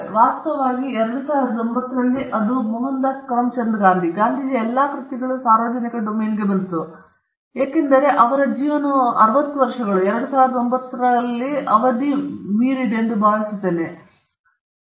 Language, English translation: Kannada, In fact, I think it was in 2009, all the works of Mohandas Karamchand Gandhi, Gandhiji, they came into the public domain, because his life plus 60 years I think it expired in 2009; I can check and tell you the date